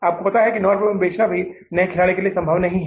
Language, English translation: Hindi, They know it that selling at 9 rupees is also not possible for the new player